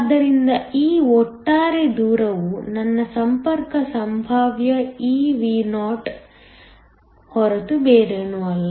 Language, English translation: Kannada, So, this overall distance is nothing but my contact potential eVo